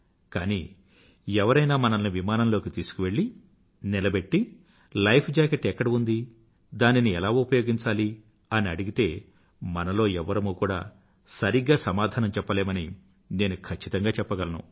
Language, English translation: Telugu, But today if one of us is taken inside an aircraft and asked about the location of equipments, say life jackets, and how to use them, I can say for sure that none of us will be able to give the right answer